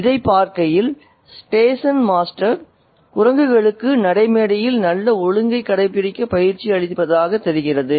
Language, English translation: Tamil, It seemed as though the station master had trained the monkeys to keep good order on the platform